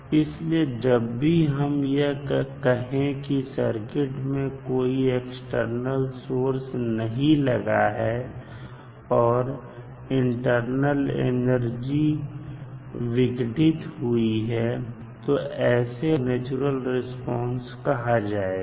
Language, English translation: Hindi, So, when we say that there is no external source connected to the circuit, and the eternal energy is dissipated the response of the circuit is called natural response of the circuit